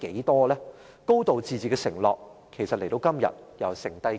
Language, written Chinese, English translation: Cantonese, 其實"高度自治"的承諾至今天還剩下多少？, As a matter of fact how much is still left in the undertaking of a high degree of autonomy today?